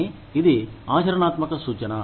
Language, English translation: Telugu, But, it is a practical suggestion